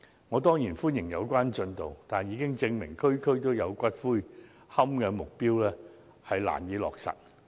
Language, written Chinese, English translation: Cantonese, 我當然歡迎有關進度，但事實證明"區區都有龕場"的目標難以落實。, I certainly welcome the progress but it has been proved by facts that the objective of building columbarium in every district can hardly be achieved